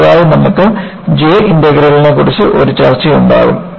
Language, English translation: Malayalam, Next you will have a discussion on J Integral